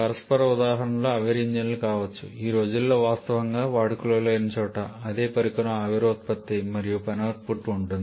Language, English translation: Telugu, Reciprocating examples can be steam engines which is virtually obsolete nowadays where we have the steam production and work output from done in the same device